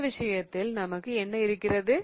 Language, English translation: Tamil, In this case what do we have